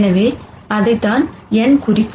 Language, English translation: Tamil, So, that is what n would represent